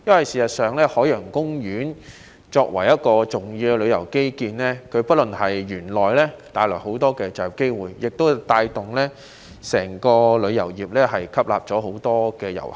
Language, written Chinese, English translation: Cantonese, 事實上，海洋公園作為重要的旅遊基建，不僅帶來很多就業機會，亦可帶動整個旅遊業，吸納很多遊客。, As a matter of fact Ocean Park is an important piece of tourism infrastructure which not only brings many job opportunities but can also drive the entire tourism industry and attract a lot of tourists